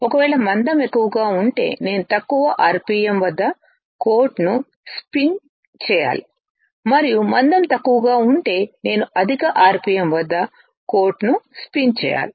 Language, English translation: Telugu, If a thickness is higher then I have to spin coat at lower rpm, and if the thickness is lower, then I can spin coat at higher rpm